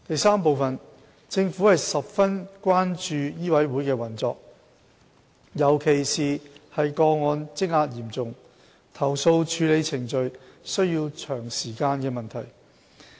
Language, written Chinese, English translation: Cantonese, 三政府十分關注醫委會的運作，尤其是個案積壓嚴重，投訴處理程序需時長的問題。, 3 The Government has great concern over the operation of MCHK especially the backlog of cases and the prolonged time required for handling complaints